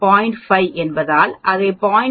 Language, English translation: Tamil, 5 so which is 0